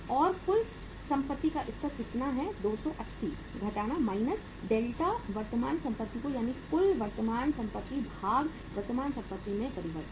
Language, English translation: Hindi, And the total assets level is how much, 280 minus now delta current assets that is total assets minus change in the current assets